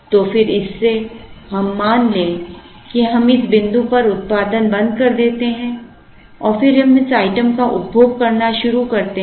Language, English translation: Hindi, So, let us assume we start producing this item so we produce this item and as we produce, we consume this item